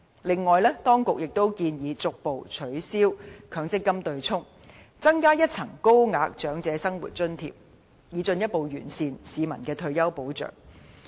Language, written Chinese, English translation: Cantonese, 此外，當局也建議逐步取消強積金對沖安排，增加一層高額長者生活津貼，以進一步完善市民的退休保障。, Moreover the authorities have also proposed gradually abolishing MPF offsetting arrangement and adding a higher tier of allowance under OALA so as to further optimize the retirement protection given to the people